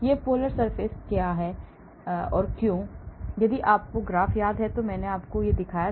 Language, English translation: Hindi, Why this polar surface area; if you remember the graph, I showed you once